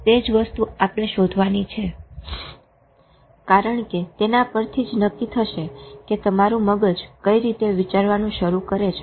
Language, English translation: Gujarati, That is what we have to discover because that will determine which way your mind starts thinking